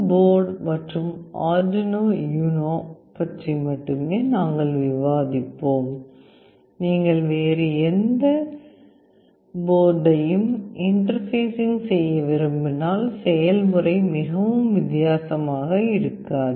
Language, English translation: Tamil, As we will be only discussing about STM board and Arduino UNO, if you want to interface any other board the process will not be very different